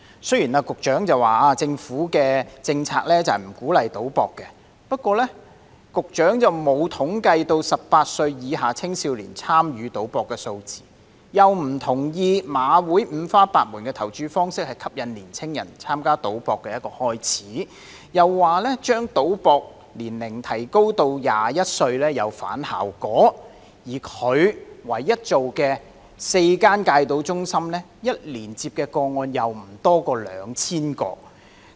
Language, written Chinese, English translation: Cantonese, 雖然局長說政府的政策不鼓勵賭博，但局長並無統計18歲以下青少年參與賭博的數字，亦不同意馬會五花八門的投注方式吸引年青人開始參加賭博，又說將賭博年齡提高到21歲會有反效果，而他唯一做到的4間戒賭中心，一年接收的個案卻不多於2000宗。, The Secretary says that the Governments policy is not to encourage gambling but he has not compiled statistics of young people aged below 18 participating in gambling; he disagrees that the wide variety of bet types offered by HKJC has enticed young people to start gambling; he also says that raising the legal gambling age to 21 will be counterproductive; but what he has achieved is that the number of cases received by the four gambling treatment centres being not more than 2 000 per year